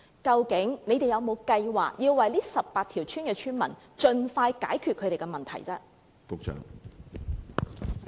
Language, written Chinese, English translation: Cantonese, 究竟局方有否計劃為這18條村的村民盡快解決食水問題？, Does the Bureau have any plan to solve the problem of potable water for the residents of these 18 villages as soon as possible?